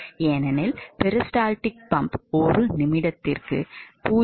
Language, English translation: Tamil, So, this is how a peristaltic pump works so